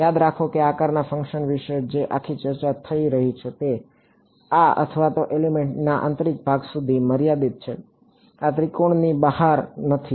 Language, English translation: Gujarati, Remember everything all this entire discussion that is happening about the shape functions are limited to the interior of this or the element, this triangle not outside the triangle